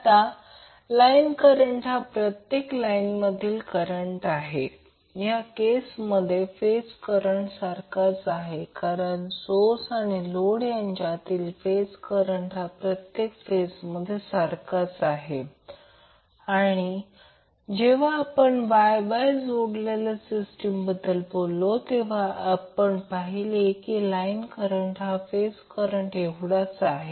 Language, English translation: Marathi, Now while the line current is the current in each line, the phase current is also same in this case because phase current is the current in each phase of source or load and when we talk about the Y Y connected system we will see that the line current is same as the phase current